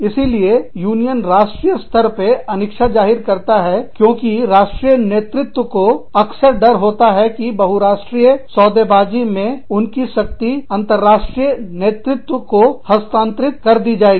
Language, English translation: Hindi, So, union reluctance at the national level, because the national leadership often fears that, multi national bargaining, will transfer power from them, to an international leadership